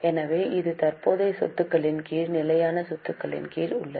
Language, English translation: Tamil, So, this is under fixed assets, under non current assets